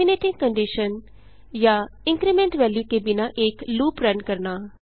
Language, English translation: Hindi, Run a loop without a terminating condition or increment value